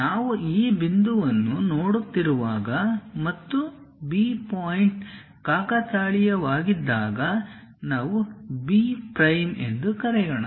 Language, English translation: Kannada, When we are looking at this this point and B point coincides, let us call B prime